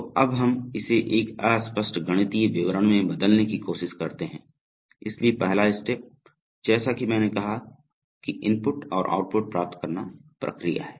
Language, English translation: Hindi, So now let us try to convert it to an unambiguous mathematical description, so first step, as I said is to get the process inputs and outputs